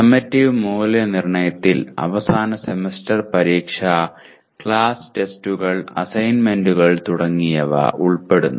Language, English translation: Malayalam, The summative assessment includes the End Semester Examination, Class Tests, Assignments and so on